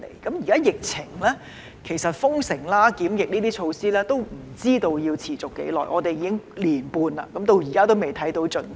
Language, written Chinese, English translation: Cantonese, 在現時的疫情下，也不知道封城和檢疫等措施要持續多久，至今已過了一年半，但仍未看到盡頭。, Under the current pandemic it remains unknown how long the measures of lockdown and quarantine will last . One year and a half has lapsed so far but we are still yet to see the end